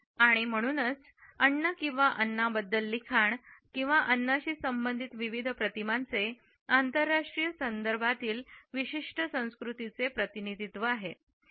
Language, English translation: Marathi, And therefore, talking about food or writing about food or representing various images related with food raise important cultural issues in international contexts